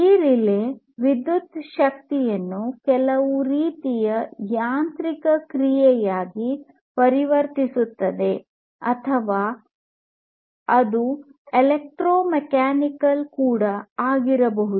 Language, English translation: Kannada, So, this relay what it does is it transforms the electrical energy into some kind of mechanical action, so or it could be electromechanical as well